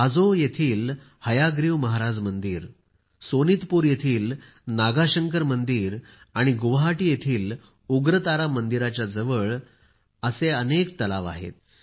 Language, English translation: Marathi, The Hayagriva Madheb Temple at Hajo, the Nagashankar Temple at Sonitpur and the Ugratara Temple at Guwahati have many such ponds nearby